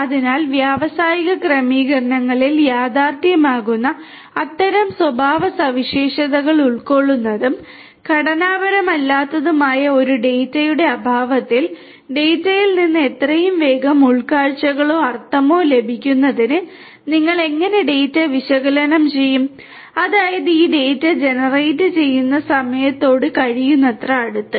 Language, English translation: Malayalam, So, in the absence of that for a data which is unstructured and bearing these kind of characteristics which is a reality in the industrial settings, how do you analyze the data in order to have insights or meaning out of the data as soon as possible; that means, as close as possible to the time when this data gets generated